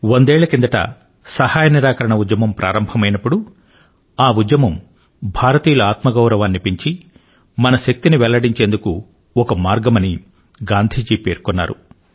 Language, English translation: Telugu, A hundred years ago when the Noncooperation movement started, Gandhi ji had written "Noncooperation movement is an effort to make countrymen realise their selfrespect and their power"